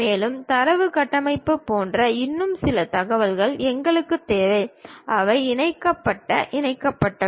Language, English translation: Tamil, And, we require certain more information like data structures which are which are these vertices connected with each other, linked